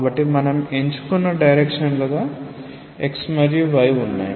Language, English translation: Telugu, So, we have x and y as our chosen directions